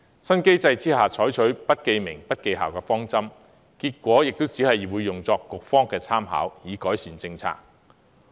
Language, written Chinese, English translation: Cantonese, 新機制採取不記名、不記校的方針，結果亦只會用作局方的參考，以改善政策。, To improve the policy the authorities have converted the new TSA into an anonymous assessment and the result will only be considered by the Bureau